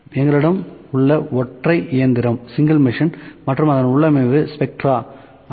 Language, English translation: Tamil, So, the single machine that we have here, I will the configuration of that is it is spectra 5